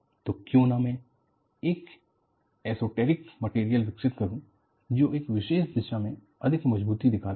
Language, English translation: Hindi, So, why not, I develop an esoteric material, which display higher strength in a particular direction